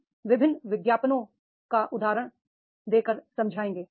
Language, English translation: Hindi, We can take the example of the different advertisements